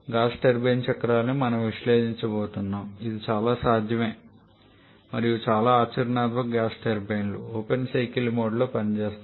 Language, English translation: Telugu, And that is a way we are going to analyze the gas turbine cycles though it is very much possible and most of the practical gas turbines work in the open cycle mode